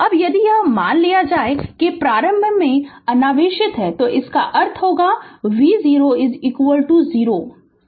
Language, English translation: Hindi, Now, if it is assuming that initially uncharged, that means V 0 is equal to 0